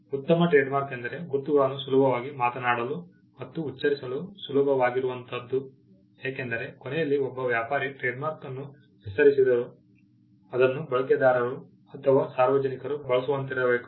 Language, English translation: Kannada, A good trademark as a mark that is easy to speak and spell, because at the end of the day a trader though he coins the trademark it should be used by the users or the general public